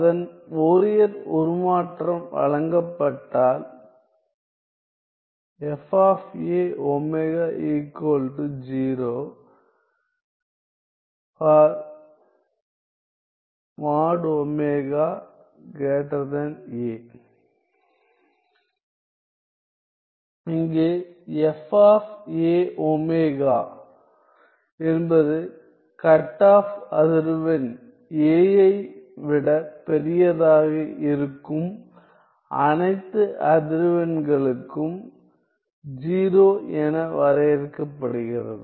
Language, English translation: Tamil, If its Fourier transform is given by this function F a of omega, where F a of omega is defined to be 0 for all frequencies which are bigger than some cutoff frequency a